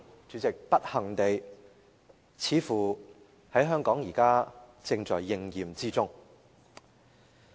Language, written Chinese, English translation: Cantonese, 主席，不幸地，似乎香港現時正在應驗這個畫面。, Unfortunately President this scene seems to have come true in Hong Kong